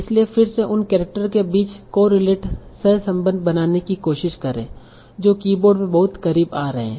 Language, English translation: Hindi, So you can try to correlate among the characters that are coming very close in the keyboard